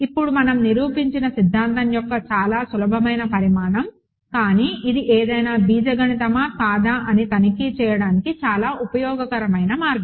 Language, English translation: Telugu, This is a very simple corollary of the theorem we proved, but it is an extremely, it is an extremely useful way of checking whether something is algebraic or not